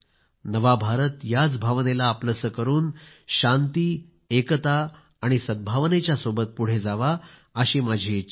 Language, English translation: Marathi, It is my hope and wish that New India imbibes this feeling and forges ahead in a spirit of peace, unity and goodwill